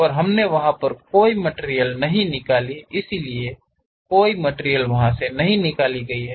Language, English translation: Hindi, And we did not remove any material there; so there is no material removed